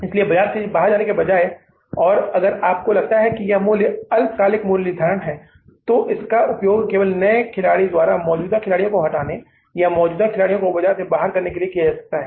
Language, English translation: Hindi, So rather than going out of the market and if you feel that this pricing is a short lived pricing, it's only a gimmick used by the new player to kill the existing players from or to shunt the existing players out of the market